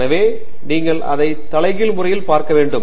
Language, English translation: Tamil, So, you have to look at it in the inverse manner